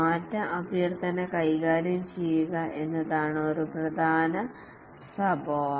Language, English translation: Malayalam, One important characteristic is to handle change requests